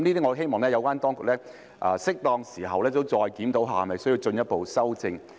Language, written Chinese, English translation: Cantonese, 我希望有關當局會在適當時候再次檢討這些事宜，看看是否需要進一步修正。, I hope the relevant authorities will review these matters again in due course to examine if further amendments are necessary